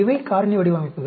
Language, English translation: Tamil, These are factorial designs